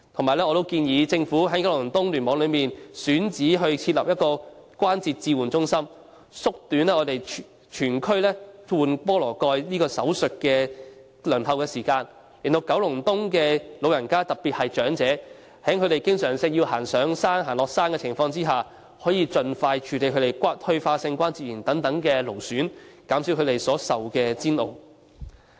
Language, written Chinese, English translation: Cantonese, 此外，我亦建議當局應盡快在九龍東聯網內選址設立關節置換中心，縮短區內關節置換手術的輪候時間，讓九龍東的市民，特別是那些經常要上山下山的長者，可以盡快處理退化性關節炎等勞損病症，減少他們所受的煎熬。, Moreover I have proposed that the authorities expeditiously identify a site in KEC for setting up a Joint Replacement Centre to shorten the waiting time for joint replacement surgery in the region so that the people in Kowloon East especially the elderly people who often need to trudge up and down the hills can have their strain disorders such as degenerative joint disease treated as soon as possible thus reducing their suffering